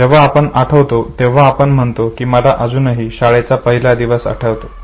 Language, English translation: Marathi, So when you recollect you say you I still remember no my first day in a school